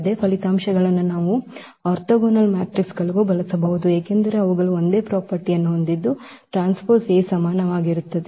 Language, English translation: Kannada, Same results we can also use for the orthogonal matrices because they are also having the same property a transpose A is equal to I